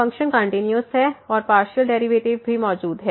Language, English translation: Hindi, The function is continuous and also partial derivatives exist